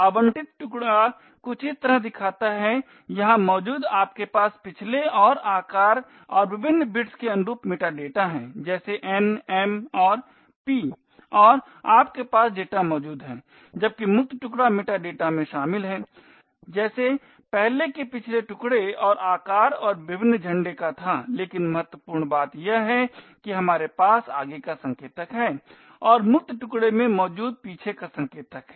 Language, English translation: Hindi, The allocated chunk looks something like this do you have the metadata over here corresponding to previous and the size and the various bits like n and p and you have the data which is present here while the free chunk comprises of the metadata as before the previous chunk and the size and the various flags but importantly we have the forward pointer and the back pointer present in the free chunk